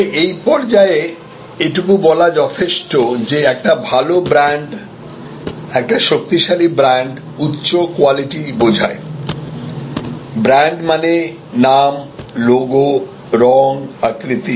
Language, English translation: Bengali, But, at this stage it is suffices to say that a good brand, a strong brand connotes high quality, brand also is the name, is a logo, colour, shape